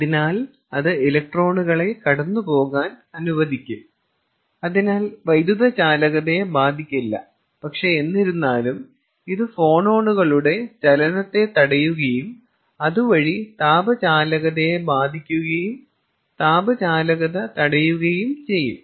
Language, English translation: Malayalam, so it will let the electrons pass through and therefore thermal electrical conductivity is not impacted, but however, it will arrest the movement of phonons and thereby impacting the thermal conductivity and arresting thermal conduction